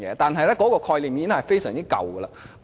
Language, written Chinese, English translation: Cantonese, 但是，這個概念已經非常陳舊。, However this approach is rather backward